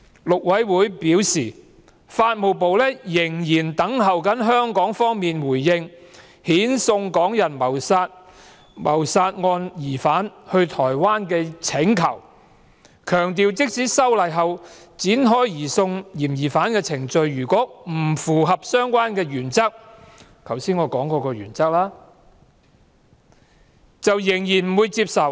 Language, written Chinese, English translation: Cantonese, 陸委會表示，法務部仍在等候香港方面的回應遣送港人謀殺案疑犯到台灣的請求，強調即使修例後展開移送嫌疑犯的程序，如果程序不符合我剛才提過的相關原則，台灣仍然不會接受。, According to MAC the Ministry of Justice is still waiting for Hong Kong to respond to Taiwans request that the suspect of the Hong Kong womans murder case be surrendered to Taiwan . MAC has however stressed that even if the surrender procedures can be invoked after legislative amendment Taiwan will not accept the surrender in case the procedures go against the aforesaid principle